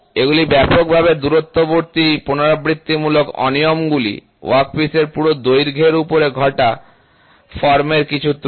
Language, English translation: Bengali, They are widely spaced repetitive irregularities occurring over a full length of the workpiece are some of the error of form